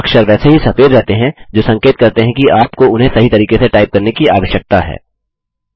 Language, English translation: Hindi, The characters remain white indicating that you need to type it correctly